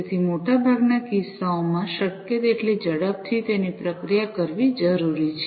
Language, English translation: Gujarati, So, it has to be processed as quickly as possible in most of the cases